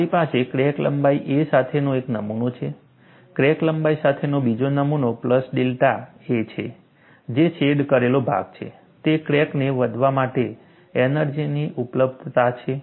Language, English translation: Gujarati, I have a specimen with crack of length a, another specimen with crack of length a plus delta a; whatever is the shaded portion, is the energy availability for crack to grow